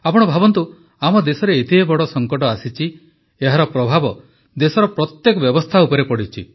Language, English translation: Odia, Think for yourself, our country faced such a big crisis that it affected every system of the country